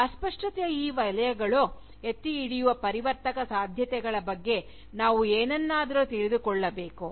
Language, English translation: Kannada, We need to know something, about the transformative possibilities, that these zones of vagueness, hold out